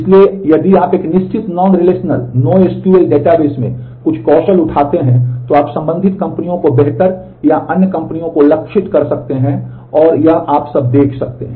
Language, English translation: Hindi, So, if you pick up certain skills in those in a certain non relational no SQL database, then you can target the corresponding companies better or other companies and you can see that all